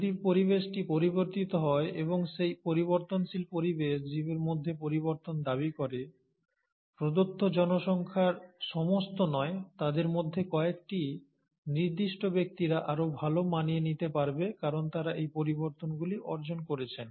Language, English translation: Bengali, So, if the environment is changing and that changing environment demands the organism to change, some of them, not all of them in a given population, certain individuals will adapt better because they have acquired these modifications